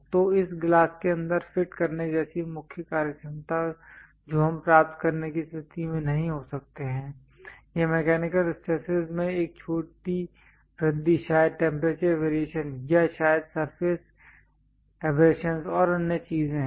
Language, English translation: Hindi, So, the main functionality like fitting this glass inside that we may not be in a position to achieve, it a small increase in mechanical stresses perhaps temperature variations, or perhaps surface abrasions and other things